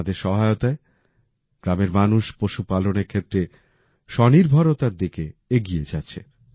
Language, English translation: Bengali, With their help, the village people are moving towards selfreliance in the field of animal husbandry